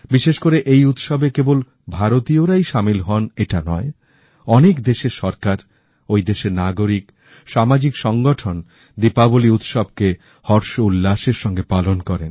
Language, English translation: Bengali, And notably, it is not limited to Indian communities; even governments, citizens and social organisations wholeheartedly celebrate Diwali with gaiety and fervour